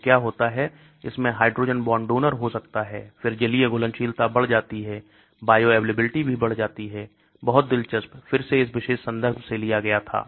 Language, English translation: Hindi, So what happens, it can have hydrogen bond donor then aqueous solubility increases, the bioavailability also increases, very interesting, again this was taken from this particular reference